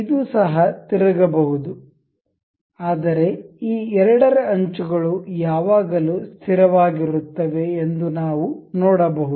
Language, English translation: Kannada, This can also rotate, but we can see always that this the edges of these two are always fixed